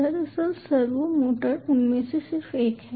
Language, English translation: Hindi, actually, ah servo motor is just one of them